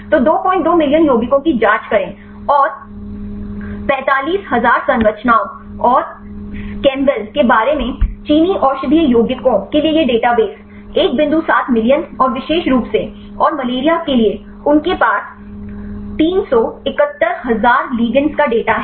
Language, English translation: Hindi, 2 million compounds, and this database for the Chinese medicinal compounds about 45,000 structures and chembl is one point seven million and specifically and the malaria they have data for 371,000 igands right